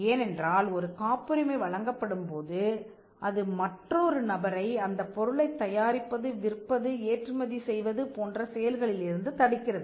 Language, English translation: Tamil, Now, there is a reason for this because, if a patent is granted, it stops a person from using manufacturing, selling, importing the product that is covered by the patent